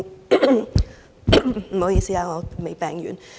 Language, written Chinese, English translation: Cantonese, 不好意思，我仍未康復。, Cough Sorry I have not fully recovered yet